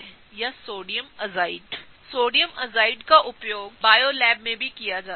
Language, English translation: Hindi, So, Sodium azide is also used in bio labs a lot